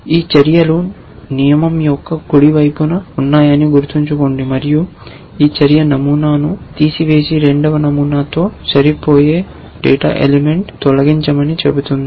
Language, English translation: Telugu, Remember these actions are on the right hand side of a rule and this action is saying that remove the pattern, remove the data element which match the second pattern